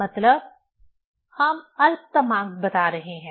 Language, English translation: Hindi, That is we tell the least count